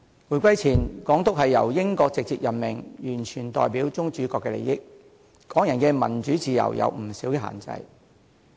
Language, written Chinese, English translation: Cantonese, 回歸前，港督由英國直接任命，完全代表宗主國的利益，對港人的民主自由有不少限制。, Before the reunification the Governor was directly appointed by Britain . He stood entirely for the interests of the sovereign power and imposed many restrictions on Hong Kong peoples democratization and freedoms